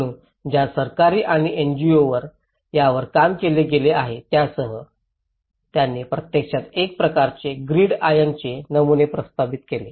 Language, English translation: Marathi, So, including the government and the NGOs who have worked on it, they actually proposed a kind of grid iron patterns